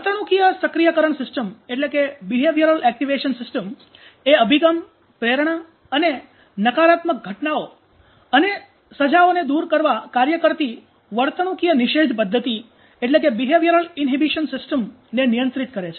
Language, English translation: Gujarati, Behavioral activation systems regulates, approach, motivation and behavioral inhibition system functioning to avoid negative events and punishments